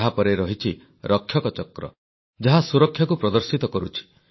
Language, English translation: Odia, Following that is the Rakshak Chakra which depicts the spirit of security